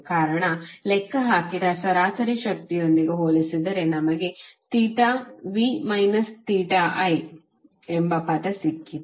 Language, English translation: Kannada, The reason is that if you compare it with the average power we calculated we got the term of theta v minus theta i